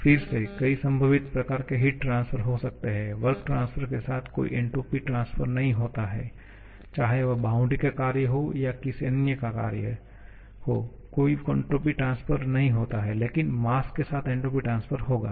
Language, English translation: Hindi, Again, there may be several possible types of heat transfer, there is no entropy transfer with work transfer, whether it is moving boundary work, any other kind of work there is no entropy transfer but there will be entropy transfer with mass